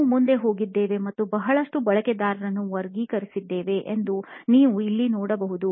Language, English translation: Kannada, Here we went ahead and actually categorized a lot of users, as you can see here